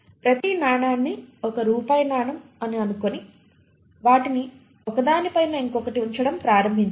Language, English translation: Telugu, Each coin you can visualize a set of let us say 1 rupee coin and you start putting them one above the other